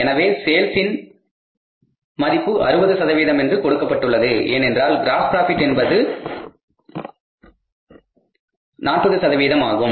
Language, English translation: Tamil, So, we are given that is 60% of the total value of this sales because gross profit is 40%